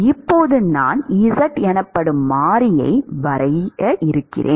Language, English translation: Tamil, Now, supposing I define a variable called z, which is x by L